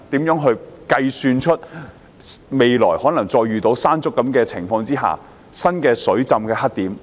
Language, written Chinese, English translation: Cantonese, 如何推算未來再遇到類似"山竹"的情況時出現的新水浸黑點？, How can it project new flooding black spots arising from situations similar to typhoon Mangkhut which we may run into in the future?